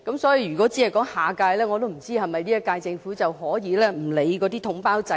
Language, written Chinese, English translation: Cantonese, 所以，如果寫明是"下屆"，是否表示現屆政府便可不理會統包制呢？, Therefore if next - term is stated does it mean that the current term Government can ignore the package deal lump sum approach?